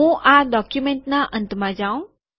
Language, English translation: Gujarati, I have come to the end of the document